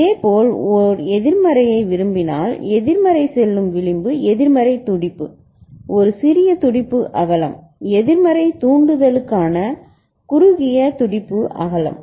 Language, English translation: Tamil, Similarly if you want a negative going you know, negative going edge a negative a pulse, a small pulse width narrow pulse width for negative triggering ok